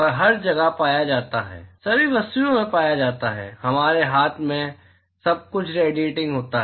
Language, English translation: Hindi, It is found everywhere it is found in all objects our hand everything is radiating